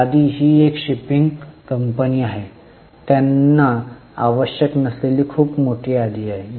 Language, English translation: Marathi, Inventry, it's a shipping company, not very large inventory they need